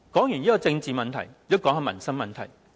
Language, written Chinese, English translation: Cantonese, 說完政治問題，也談談民生問題。, Having talked about the political problems I now turn to the livelihood issues